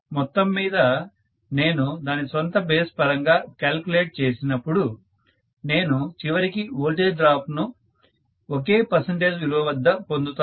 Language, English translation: Telugu, Overall when I calculated with reference to its own base, I will get ultimately the voltage drops to be, you know happening at the same percentage values, right